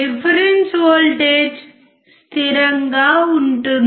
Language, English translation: Telugu, The reference voltage is constant